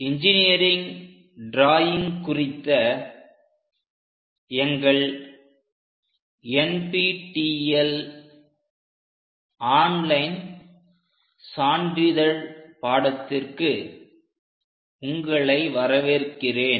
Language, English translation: Tamil, Welcome to our NPTEL online certification courses on Engineering Drawing